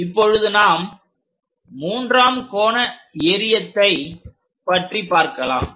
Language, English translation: Tamil, Let us look at third angle projection system